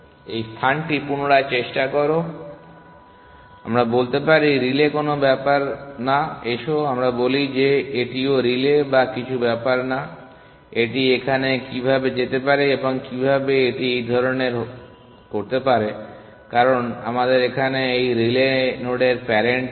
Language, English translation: Bengali, Retry this space, let us say the relay does not matter let us say this also relay or something does not matter how can it go here and how can it do this type because we do not have the parent of this relay node here